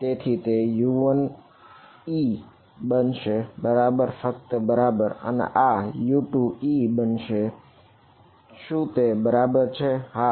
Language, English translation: Gujarati, So, it will be U 1 e is equal right just e right and this guy will be U 2 e is that right yeah